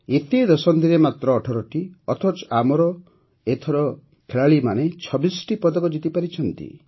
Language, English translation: Odia, In all these decades just 18 whereas this time our players won 26 medals